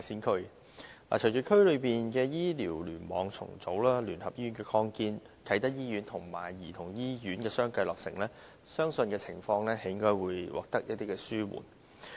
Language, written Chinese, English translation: Cantonese, 隨着區內醫療聯網重組、聯合醫院的擴建，以及啟德醫院和兒童醫院相繼落成，相信情況將得以紓緩。, With the reorganization of the Kowloon East Cluster the expansion of the United Christian Hospital and the completion of the Kai Tak Hospital and the Hong Kong Childrens Hospital one after another I believe the situation can be ameliorated